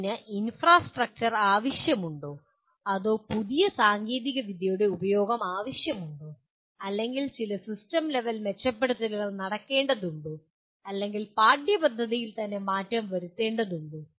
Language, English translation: Malayalam, Does it require infrastructure or does it require use of a new technology or some system level improvements have to take place or the curriculum itself has to be altered